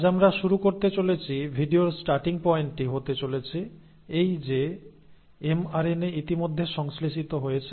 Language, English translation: Bengali, So today we are going to start, starting point of the video is going to be that the mRNA has been already synthesised